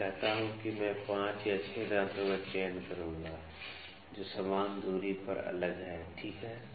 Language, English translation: Hindi, Let me say I will select 5 or 6 teeth, which are at an equal equidistance apart, ok